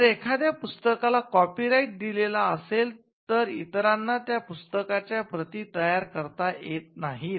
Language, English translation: Marathi, If a copyright is granted for a book, it stops a person from making copies of that book